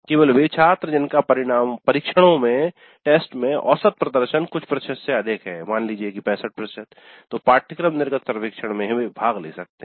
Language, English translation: Hindi, Only those students whose average performance in the test is more than, let us say 65% can participate in the course exit survey